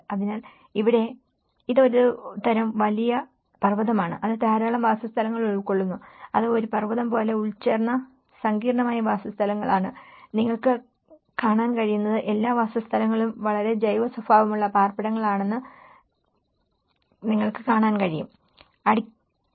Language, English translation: Malayalam, So, here itís a kind of big mountain which is embedded with a lot of dwellings which is intricate dwellings which are embedded like a mountain, what you can see is that all the dwellings, series of dwellings which are very organic nature of it